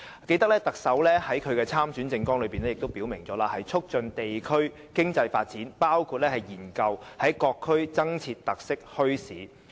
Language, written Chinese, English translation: Cantonese, 記得特首在參選政綱中，也曾表明會"促進地區經濟發展，包括研究在各區增設特色墟市"。, I remember that the Chief Executive stated in her election manifesto that [t]he development of district economy will be promoted for example through studies on the establishment of bazaars with special features in various districts